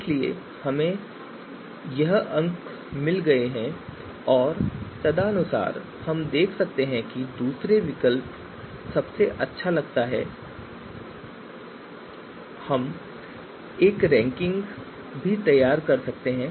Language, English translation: Hindi, So we have got the scores and accordingly we can find out that second alternatives seems to be the best one and you can produce a ranking as well